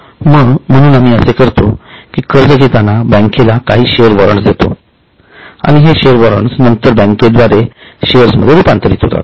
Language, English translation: Marathi, So what we do is when we take loan,, we give them some share warrants and these share warrants can later on be converted into shares by the bank